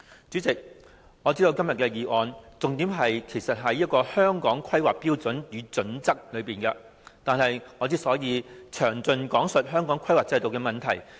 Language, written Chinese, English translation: Cantonese, 主席，今天議案的重點是《香港規劃標準與準則》，我剛才已詳盡講述《規劃標準》的問題。, President the motion today is focused on the Hong Kong Planning Standards and Guidelines HKPSG . I have already described in detail the problems of HKPSG